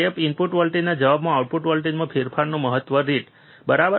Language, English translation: Gujarati, Maximum rate of change of the output voltage in response to a step input voltage, right